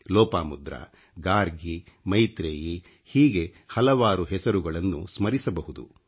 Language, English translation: Kannada, Lopamudra, Gargi, Maitreyee…it's a long list of names